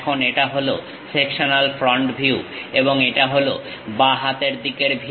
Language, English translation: Bengali, Now, this is the sectional front view and this is left hand side view